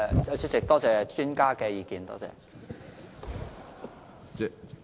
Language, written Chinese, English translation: Cantonese, 主席，多謝專家的意見。, President I thank the expert for his views